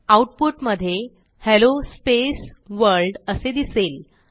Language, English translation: Marathi, So in the output we see Hello space World